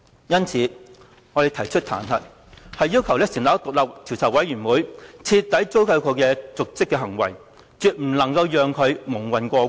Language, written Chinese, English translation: Cantonese, 因此，我們提出彈劾，要求成立一個獨立的調查委員會，徹底追究其瀆職行為，絕不能夠讓他蒙混過關。, We have therefore activated the impeachment process and demanded the setting up of an independent investigation committee to thoroughly inquire into his dereliction of duty . We absolutely should not let him get off scot - free